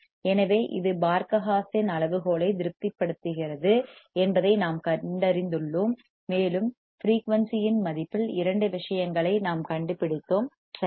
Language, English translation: Tamil, So, we have found out that this satisfies Barkhausen criterion, and we have found at the value of frequency two things we have found out right